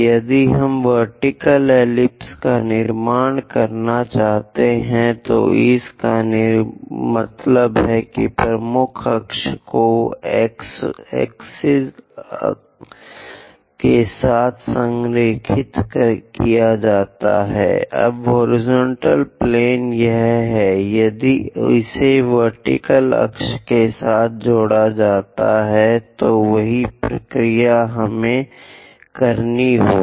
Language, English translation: Hindi, If we would like to construct vertical ellipse, that means the major axis is aligned with x axis are now horizontal plane that if it is aligned with vertical axis, the same procedure we have to do